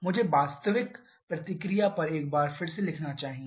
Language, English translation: Hindi, Let me write the actual reaction, so actually action once more